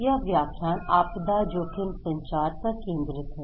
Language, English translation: Hindi, This lecture is focusing on disaster risk communications